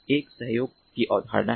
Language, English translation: Hindi, one is the concept of cooperation